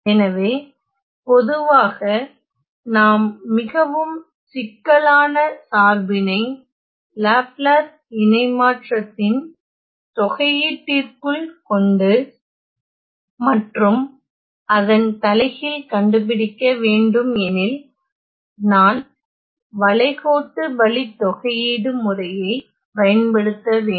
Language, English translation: Tamil, So, in general when we have a very complicated function inside this integral of the Laplace transform and we have to evaluate the inverse; I need to use the method of contour integrals